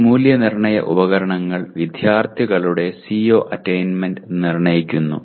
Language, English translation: Malayalam, And these assessment instruments determine the students’ CO attainment